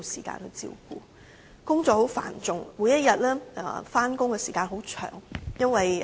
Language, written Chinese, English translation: Cantonese, 她工作繁重，每天上班時間很長。, Each day the workload is heavy and the working hours are long